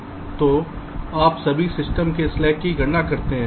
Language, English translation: Hindi, so you calculate the slack of all system